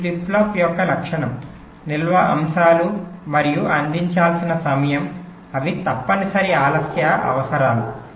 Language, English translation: Telugu, these are characteristic of the flip flop, the storage elements, those time we have to provide those are mandatory delay requirements